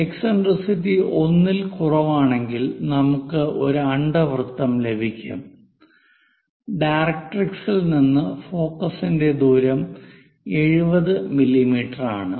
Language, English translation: Malayalam, 75, any eccentricity less than 1 we will be getting this ellipse and distance of focus from the directrix is 70 mm, if that is the case construct an ellipse